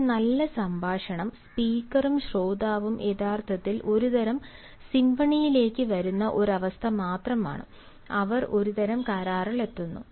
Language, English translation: Malayalam, a good conversation is only one where both the speaker and the listener, they actually come to a sort symphony, they come to a sort of agreement